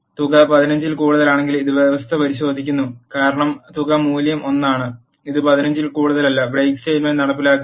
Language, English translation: Malayalam, And it checks the condition if sum is greater than 15 because sum value is 1 it is not greater than 15 the break statement will not be executed